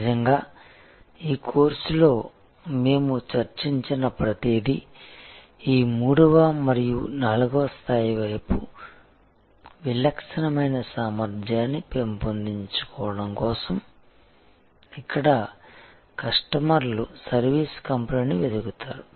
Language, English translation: Telugu, Really in this course, everything that we have discussed is for the journey towards this 3rd and 4th level to develop distinctive competence, where customers will seek out the service company